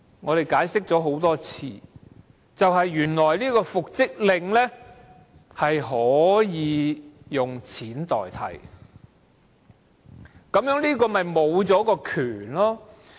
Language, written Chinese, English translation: Cantonese, 我解釋了很多次，僱主若拒絕履行復職令，可以付錢代替，導致僱員沒有復職權。, As I have explained time and again an employer can make a payment in lieu of enforcing the reinstatement order which will deprive the employees of their right to reinstatement